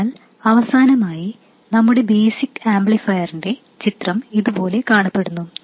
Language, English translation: Malayalam, So, finally, the picture of our basic amplifier looks like this